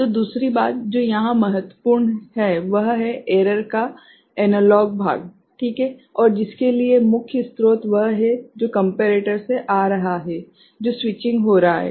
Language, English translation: Hindi, So, the other thing that is important here is the analog part of the error right, and which is for which the main source is the one that is coming from the comparator ok, the switching that is taking place